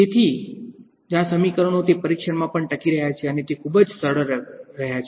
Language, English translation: Gujarati, So, that is why so these equations survive that test also and they have been very very successful